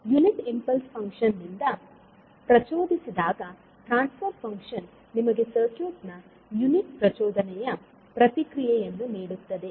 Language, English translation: Kannada, So, when it is excited by a unit impulse function, the transfer function will give you the unit impulse response of the circuit